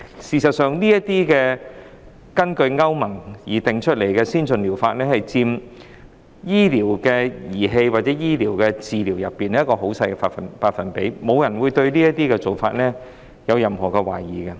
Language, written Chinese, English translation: Cantonese, 事實上，這些根據歐洲聯盟定義的先進療法，在醫療儀器或醫療治療方面只佔極小百分比，沒有人對此舉有任何質疑。, In fact these advanced therapies as defined by the European Union account for only a tiny percentage of medical devices or medical therapies and no one has any doubts about this move